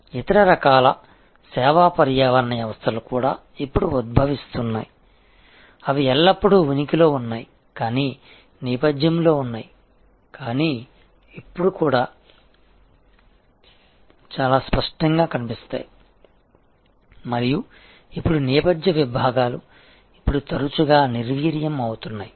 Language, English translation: Telugu, There are other kinds of service ecosystems also now emerging, they had always existed but in the background, but now they can become also quite explicit and so the background foreground divisions are now often getting defused